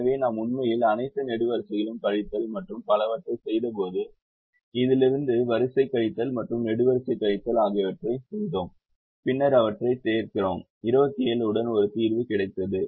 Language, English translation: Tamil, so when we actually did all the columns, subtraction and so on from this, we did the row subtraction and column subtraction and then we solve them, we got a solution with twenty seven, so variable